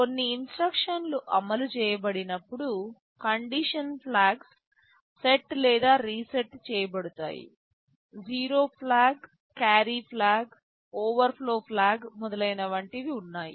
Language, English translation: Telugu, Whenever some instructions are executed the condition flags are set or reset; there is zero flag, carry flag, overflow flag, and so on